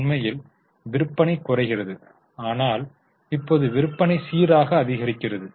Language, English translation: Tamil, In fact, sales went down and now the sales are steadily rising